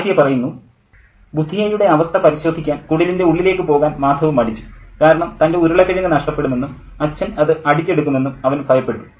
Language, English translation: Malayalam, Martha was reluctant to go inside the heart to check Budya's condition because he was afraid that he loses his potato and his father will grab it